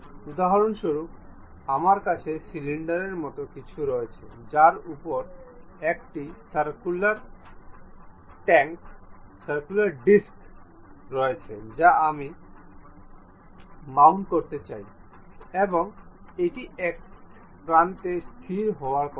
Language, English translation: Bengali, For example, I have something like a cylinder on which there is a circular disc I would like to really mount it and it is supposed to be fixed at one end